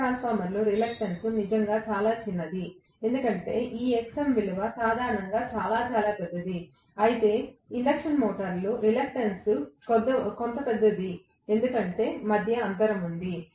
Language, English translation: Telugu, The reluctance happens to be really really small in a transformer because of which this Xm value is generally very very large, whereas in the case of an induction motor the reluctance is somewhat larger because I have an intervening air gap